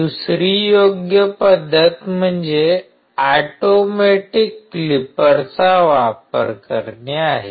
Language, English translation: Marathi, Another right method is the use of automatic clippers